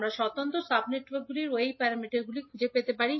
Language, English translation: Bengali, Now we have got Y parameters of individual sub networks, what we can do